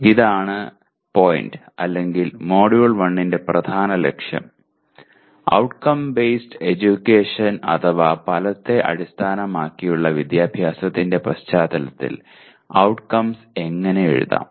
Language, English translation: Malayalam, This is the point or this is the main goal of the Module 1, how to write outcomes in the context of Outcome Based Education